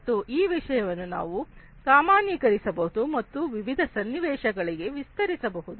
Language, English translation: Kannada, And this thing you can generalize and extend to different, different scenarios, likewise